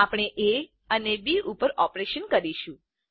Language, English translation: Gujarati, We will perform operations on a and b